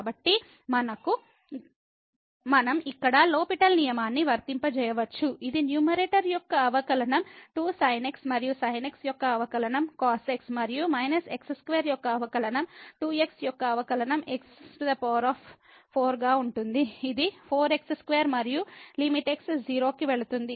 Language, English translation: Telugu, So, we can apply the L’Hospital rule here which says that the derivative of the numerator will be 2 time and the derivative of will be and minus the derivative of square will be divided by the derivative of power which is four power 3 and the limit goes to 0